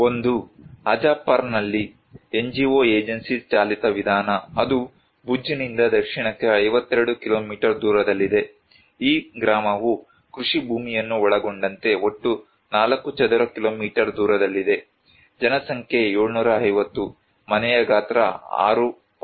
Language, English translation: Kannada, One is NGO agency driven approach in Hajapar, that is 52 kilometers south from Bhuj, area is of the village is around 4 square kilometer in total including the agricultural land, population is 720, household size is 6